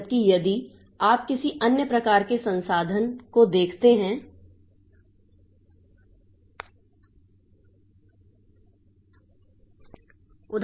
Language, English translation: Hindi, Whereas if you look into some other type of resource, for example the screen